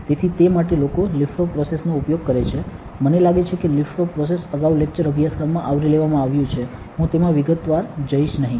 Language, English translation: Gujarati, So, for that people use lift off process, I think lift off process has been covered in the lecture course before; I will not go into details of it